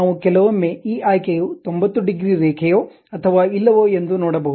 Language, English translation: Kannada, We can see sometimes we can see this option also whether it is 90 degrees line or not, escape mode